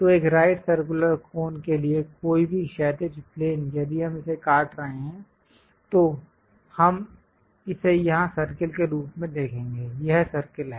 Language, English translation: Hindi, So, any horizontal plane for a right circular cone if we are slicing it, we will see it as circle here, this is the circle